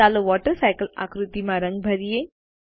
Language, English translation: Gujarati, Let us color the WaterCycle diagram